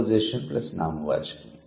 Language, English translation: Telugu, Preposition plus noun